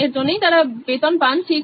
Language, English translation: Bengali, That’s why they are paid for, right